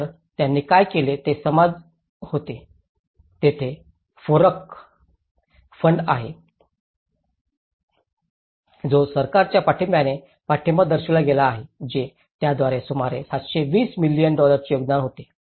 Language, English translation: Marathi, So, what they did was the society there is a FOREC fund which has been support with the support from the government it has been formulated it’s about it contributed about 720 million